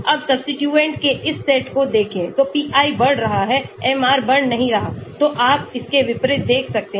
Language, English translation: Hindi, Now look at this set of substituents so a pi increases MR does not increase so you can see this unlike this